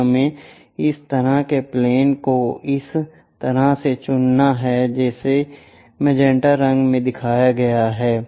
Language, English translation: Hindi, Let us pick such kind of plane as this one, the one which is shown in magenta colour